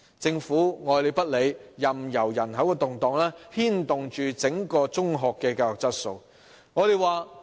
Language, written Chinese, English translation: Cantonese, 政府愛理不理，任由人口動盪牽動整體中學教育的質素。, It has uncaringly allowed changes in the population to impact on the overall quality of secondary education